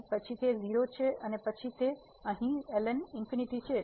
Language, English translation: Gujarati, So, it is a 0 and then here ln infinity